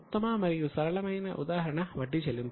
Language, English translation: Telugu, The best and simple example is payment of interest